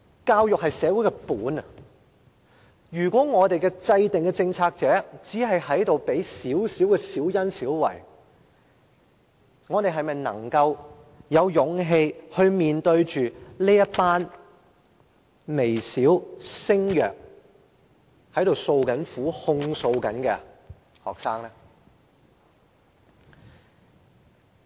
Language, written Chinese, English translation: Cantonese, 教育是社會的根本，如果我們的政策制訂者只願給予小恩小惠，我們是否有勇氣面對這群微小聲弱，正在訴苦、正在控訴的學生呢？, Education is fundamental to society . If our policy - makers are only willing to give out petty favours then do we have the courage to face this group of students who are faintly voicing their sorrow and complaints?